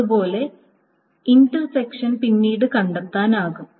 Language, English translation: Malayalam, Similarly, intersection can be found out